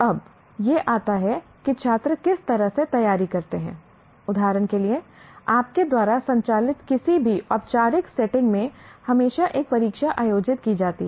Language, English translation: Hindi, Now comes, how do students prepare for, for example, for any formal setting that you operate, there is always an examination to be conducted